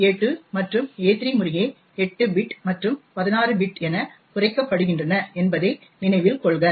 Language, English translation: Tamil, So not that a2 and a3 get truncated to 8 bit and 16 bit respectively